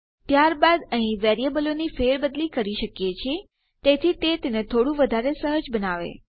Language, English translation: Gujarati, Then we can just replace our variables in here so it makes it a bit more....,a bit more fluent